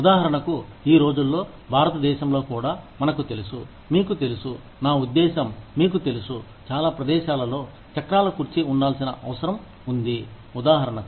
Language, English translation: Telugu, For example, these days, even in India, we need to have, you know in, i mean, you know, a lot of places need to be, wheelchair accessible, for example